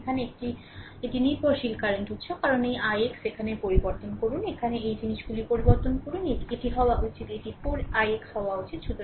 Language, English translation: Bengali, Here, it is a dependent current source i because this i x, here you change the here you change these things thus it should be it should be 4 i x right